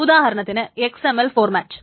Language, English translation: Malayalam, For example, the XML format